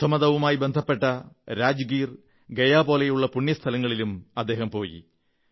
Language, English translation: Malayalam, He also went to Buddhist holy sites such as Rajgir and Gaya